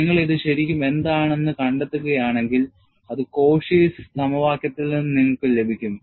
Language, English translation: Malayalam, And if you go and really find out what is this T n, you get that from the Cauchy's formula